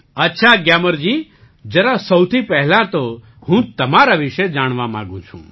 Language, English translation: Gujarati, Fine Gyamar ji, first of all I would like toknow about you